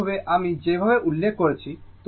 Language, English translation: Bengali, Similarly, the way the way I have mention